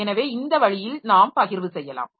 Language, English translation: Tamil, So, this way we can have the sharing